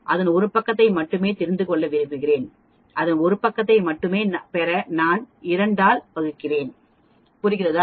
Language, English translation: Tamil, Suppose if we want to know only one side of it, I just divide by 2 to get the area on only one side of it, understand